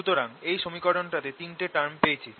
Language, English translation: Bengali, so i have gotten these three terms